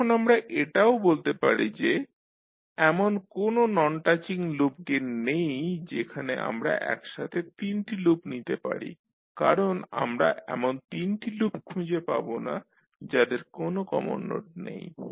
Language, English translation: Bengali, Now, we can also identify that there is no non touching loop gains where we can take three loops at a time because we cannot find out three non touching loops which do not have the common nodes